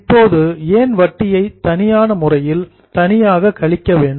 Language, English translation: Tamil, Now why is interest deducted separately in a separate step